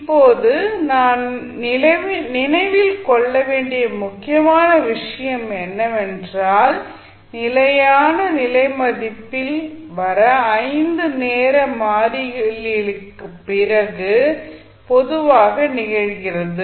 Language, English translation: Tamil, Now, the important thing which we have to remember is that at steady state value that typically occurs after 5 time constants